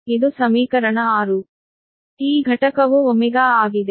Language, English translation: Kannada, this, its unit, is ohm